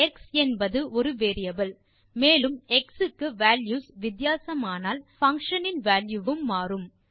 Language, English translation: Tamil, Here x is a variable and with different values of x the value of function will change